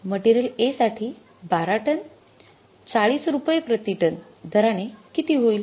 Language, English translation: Marathi, Material A at the rate of rupees 40 per ton it is going to be how much